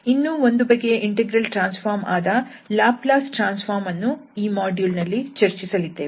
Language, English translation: Kannada, There will be one more integral transform, the Laplace transform will be discussing in this lecture in this module